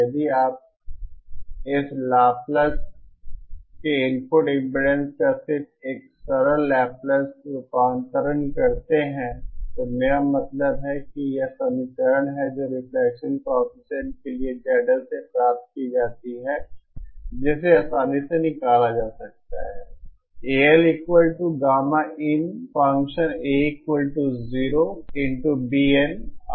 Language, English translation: Hindi, If you just a simple Laplace transform of the input impedance of this Laplace I mean this is this expression for the reflection coefficient is obtained from Z L which can be simply calculated